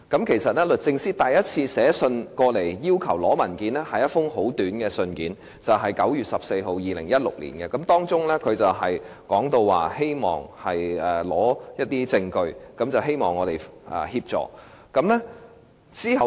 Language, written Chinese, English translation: Cantonese, 其實，律政司首先是以一封簡短的信函要求索取文件的，時為2016年9月14日，當中提到希望索取證據，要求我們協助。, In fact it began when DoJ asked to solicit the documents in a brief letter dated 14 September 2016 in which DoJ mentioned its wish to solicit evidence and seek our assistance